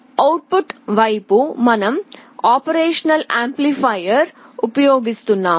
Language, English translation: Telugu, On the output side, we are using an operational amplifier